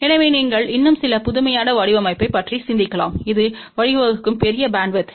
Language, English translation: Tamil, So, you can think aboutsome more innovative design, which will lead to larger bandwidth